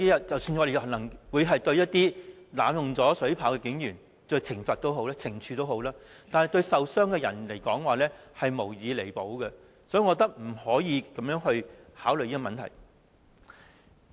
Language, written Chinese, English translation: Cantonese, 即使可對濫用水炮車的警員作出懲處，但對傷者而言，其所受傷害無以彌補，所以我覺得不能這樣考慮這個問題。, Even though the policemen were penalized for using the water cannon vehicles inappropriately insofar as the injured are concerned nothing can compensate the harm done to them . Thus I think we should not consider the issue from this perspective